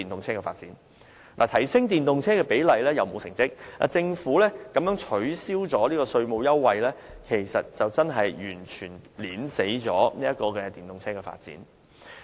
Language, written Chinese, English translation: Cantonese, 政府不僅在提升電動車的比率方面，沒有造出成績，更取消了稅務優惠，這完全扼殺了電動車的發展。, Not only has the Government failed to increase the proportion of electric vehicles it has also withdrawn the tax incentive completely strangling the promotion of electric vehicles